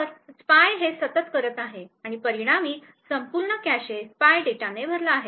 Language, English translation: Marathi, So, spy is continuously doing this and as a result the entire cache is filled with the spy data